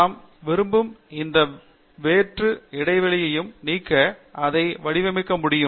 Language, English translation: Tamil, We could format it to remove any empty spaces as we wish to have